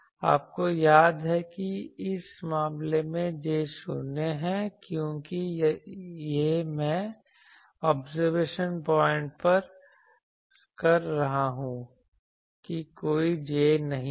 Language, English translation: Hindi, You remember that in this case J is 0 because this I am doing at the observation point there is no J